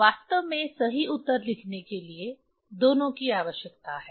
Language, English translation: Hindi, In fact, we need both of them to write the correct answer